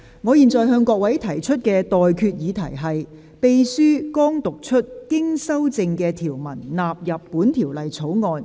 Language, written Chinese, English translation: Cantonese, 我現在向各位提出的待決議題是：秘書剛讀出經修正的條文納入本條例草案。, I now put the question to you and that is That the clauses as amended just read out by the Clerk stand part of the Bill